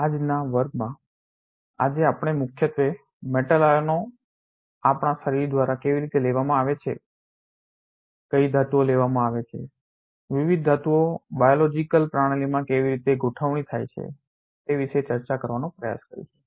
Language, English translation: Gujarati, Today in today’s class mainly we will try to discuss how metal ions are taken up by our body, what metals are taken up, how different metals are assembled inside the biological system